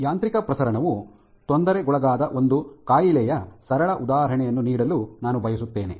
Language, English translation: Kannada, So, I would like to take a simple example of where of a disease where mechanotransduction is perturbed